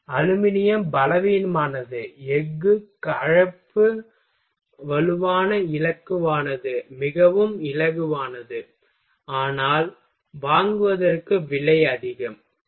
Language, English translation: Tamil, aluminum, weaker, lighter more expensive than steel composite strong stiff very light, but expensive to buy and fabricate ok